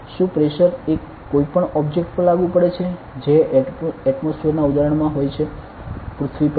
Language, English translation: Gujarati, Is the pressure applied to any object that is in an atmosphere example; on earth ok